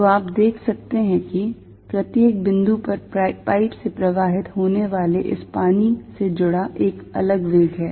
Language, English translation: Hindi, So, you see at each point, there is a different velocity associated with this water flowing out of the pipe